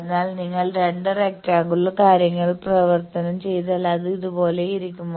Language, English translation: Malayalam, So, that if you convert two rectangular things it will be like these